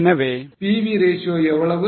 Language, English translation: Tamil, So, how much is PV ratio